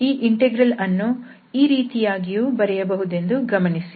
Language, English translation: Kannada, And just to be noted that thus this integral can also be written as